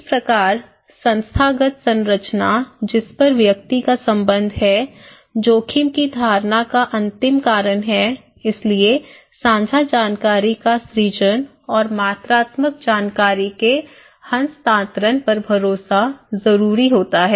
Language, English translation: Hindi, So, institutional structure of at which the individual belong is the ultimate cause of risk perception so, creation of shared meaning and trust over the transfer of quantitative information